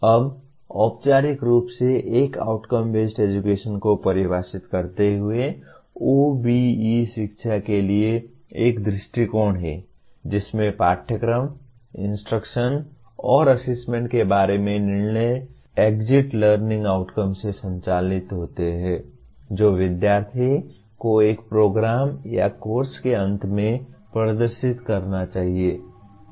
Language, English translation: Hindi, Now, formally defining what an Outcome Based Education, OBE is an approach to education in which decisions about curriculum, instruction and assessment are driven by the exit learning outcomes that the student should display at the end of a program or a course